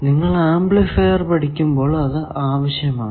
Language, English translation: Malayalam, When you study amplifiers, you require that